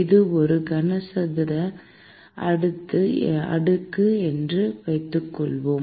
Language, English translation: Tamil, Let us assume that it is a cuboid slab